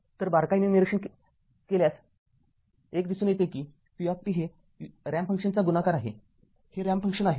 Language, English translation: Marathi, So, a close observation reveals that v t is multiplication of a ramp function, it is a ramp function